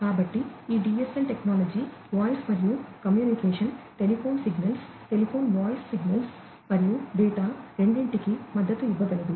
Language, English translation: Telugu, So, this DSL technology can support both communication of voice like, the telephone signals etcetera you know telephone voice signals as well as the data both can be supported